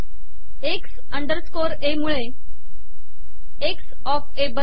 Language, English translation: Marathi, X underscore A creates X of A